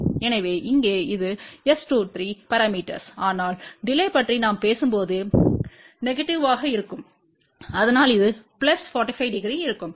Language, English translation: Tamil, So, here this is S 23 parameter, ok but when we talk about the delay delay will be negative of that so which is going to be plus 45 degree